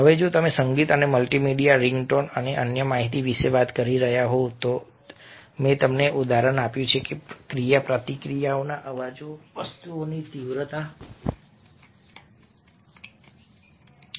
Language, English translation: Gujarati, now, if you are talking about a music and multimedia, ringtones and other information, i have given you the example: interaction, sounds, role in the intensification and dramatization of things